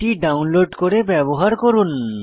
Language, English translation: Bengali, Please download and use this file